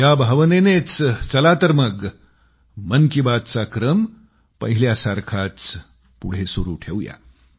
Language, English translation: Marathi, With this sentiment, come, let's take 'Mann Ki Baat' forward